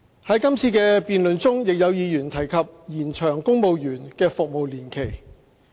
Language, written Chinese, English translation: Cantonese, 在今次的議案辯論中，亦有議員提及延長公務員的服務年期。, In the motion debate this time around Members have also mentioned the extension of the service of civil servants